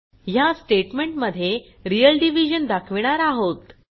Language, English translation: Marathi, In this statement we are performing real division